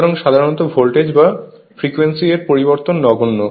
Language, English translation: Bengali, So, generally variation of voltage or frequency is negligible